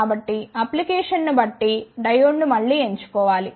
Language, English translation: Telugu, So, depending upon the application again one can choose the diode